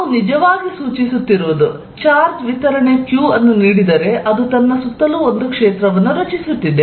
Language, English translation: Kannada, Can I really check, if there is a charge distribution it creates this field around itself